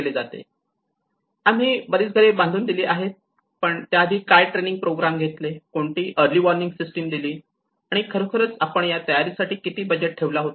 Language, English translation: Marathi, Yes, we have constructed this many houses, we have given this many boats, we have given this many livelihoods, but before what are the training programs, what are the early warning systems you know how we can actually dedicate our budget in the preparedness programs